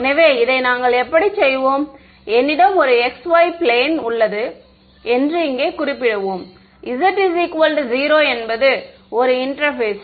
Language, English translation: Tamil, So, how will we do this is let us say that I have a xy plane is denoted over here, z is equal to 0 is an interface ok